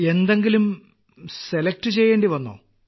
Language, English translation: Malayalam, Did you have to make any selection